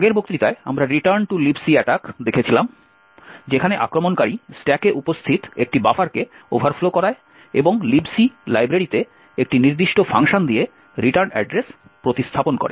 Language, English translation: Bengali, In the earlier lecture we had looked at Return to Libc attack where the attacker overflows a buffer present in the stack and replaces the return address with one specific function in the Libc library